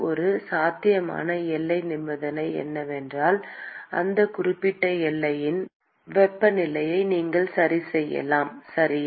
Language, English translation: Tamil, One possible boundary condition is you could fix the temperature of that particular boundary, okay